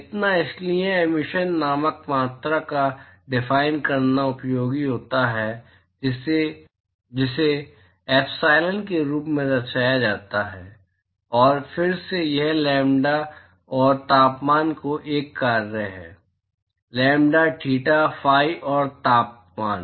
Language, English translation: Hindi, So the; So, therefore, it is useful to define a quantity called emissivity which is represented as epsilon and again it is a function of lambda and temperature; lambda, theta, phi and temperature